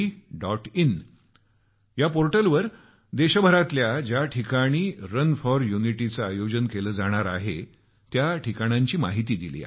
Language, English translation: Marathi, In this portal, information has been provided about the venues where 'Run for Unity' is to be organized across the country